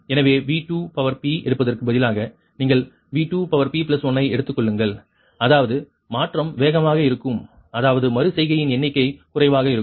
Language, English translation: Tamil, so instead of righting taking v two p, you take v two, p plus one, such that conversion will be faster, thats will number of iteration will be lays right